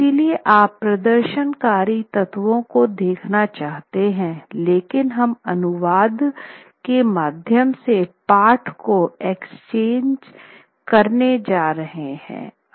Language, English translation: Hindi, So you are to look at the performative elements but we are also going to access the text to the translation